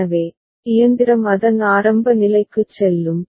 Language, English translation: Tamil, So, the machine will go back to its initial state ok